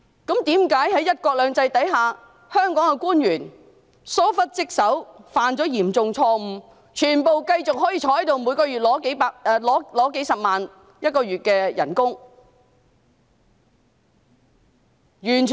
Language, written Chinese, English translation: Cantonese, 為何在"一國兩制"之下，香港的官員疏忽職守，犯下嚴重錯誤，卻全部可以繼續留任，每月領取數十萬元薪金？, Under the principle of one country two systems how come Hong Kong officials having committed negligence of duty and made serious mistakes can all remain in office and receive a monthly salary of hundreds of thousands of dollars?